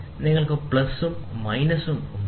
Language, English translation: Malayalam, So, you can have plus and minus